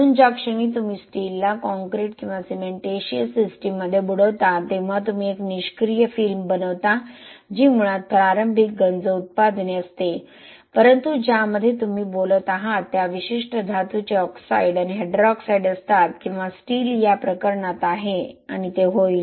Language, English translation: Marathi, So the moment you immerse the steel in concrete or cementitious system you form something called a passive film which is basically the initial corrosion products but that has you know oxides and hydroxides of the particular metal which you are talking or the steel here in this case and that will be able to protect the steel from further corrosion